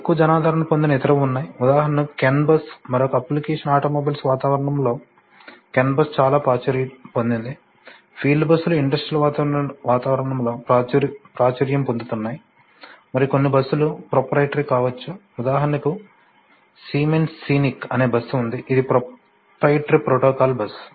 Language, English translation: Telugu, There are other less popular probably, I can call them less popular, for example the can bus, the can bus is much more popular in in another application environment that automobiles, field buses gaining popularity in the industrial environment and some buses could be, you know proprietary, for example siemens has a bus called scenic which is proprietary protocol bus